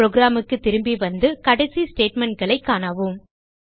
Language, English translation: Tamil, Coming back to the program and the last set of statements